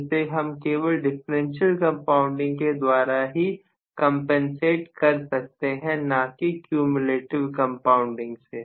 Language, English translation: Hindi, So, that can be compensated for only by having differential compounding and not cumulative compounding